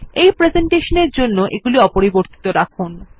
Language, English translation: Bengali, Leave these unchanged for this presentation